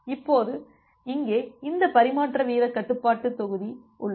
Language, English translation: Tamil, Now, here you have this transmission rate control module